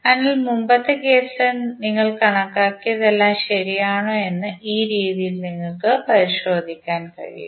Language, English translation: Malayalam, So, in this way you can cross verify that whatever you have calculated in previous case is correct